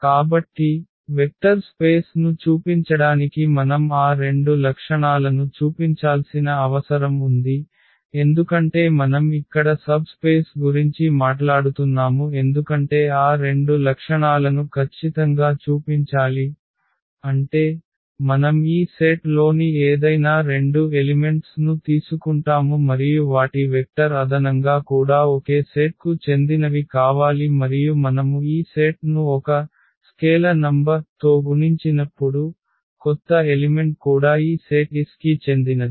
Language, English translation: Telugu, So, for showing the vector space we need to show those two properties because we are talking about the subspace here we need to absolutely show those two properties that closure properties; that means, you take any two elements of this set and their vector addition should also belong to the same set and also when we multiply this set by a number a scalar number that the new element should also belong to this set S